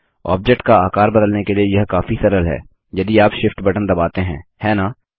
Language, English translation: Hindi, It is much easier to re size the object if you press the Shift key also, isnt it